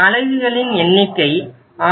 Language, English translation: Tamil, Number of units 6